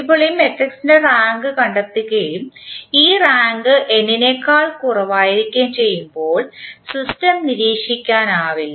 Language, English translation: Malayalam, Now, when you find the rank of this matrix and this rank is less than n, the system is not observable